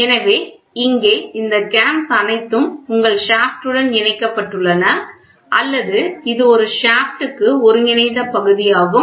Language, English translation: Tamil, So, here it all these cams are attached to your shaft or it is an integral part of a shaft